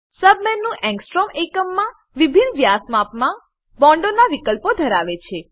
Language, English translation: Gujarati, The sub menu has options of bonds in different size diameter, in angstrom units